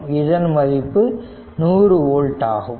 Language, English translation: Tamil, So, it will be 100 volt right